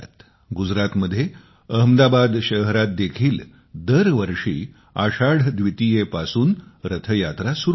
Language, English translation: Marathi, In Ahmedabad, Gujrat too, every year Rath Yatra begins from Ashadh Dwitiya